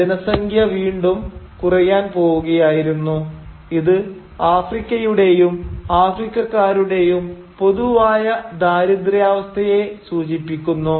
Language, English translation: Malayalam, The population was again going to go in decline which of course points at a general impoverishment of Africa and Africans